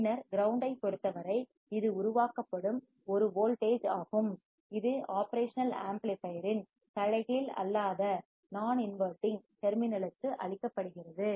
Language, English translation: Tamil, And then with respect to ground this is a voltage that is generated that is fed to the non inverting terminal of the operation amplifier